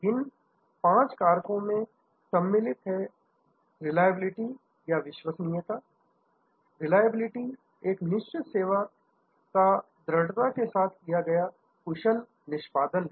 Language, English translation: Hindi, These five factors are a reliability, reliability is the performance of the promised service dependably and accurately